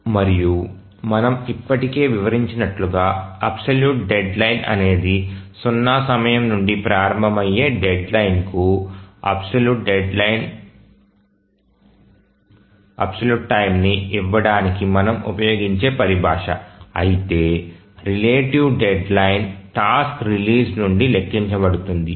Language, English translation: Telugu, And we already explained the absolute deadline is a terminology we use to give absolute time to the deadline starting from time zero, whereas relative deadline is counted from the release of the task